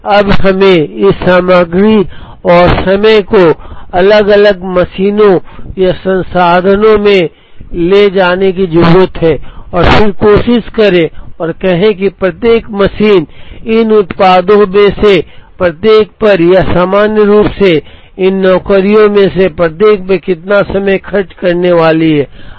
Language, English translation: Hindi, Now, we need to carry this material and time into individual machines or resources and then try and say, how much of time each machine is going to spend on each of these products or in general, each of these jobs